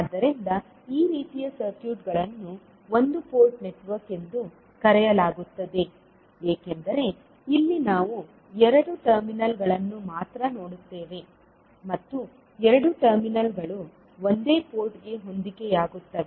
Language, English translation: Kannada, So, these kind of circuits are called as a one port network because here we see only two terminals and two terminals will correspond to one single port